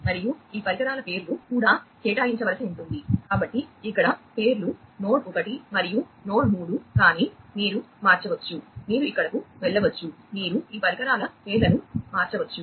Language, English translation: Telugu, And the names of these devices will also have to be assigned and so, here the names are node 1 and node 3, but you could change, you could over here, you could change the names of these devices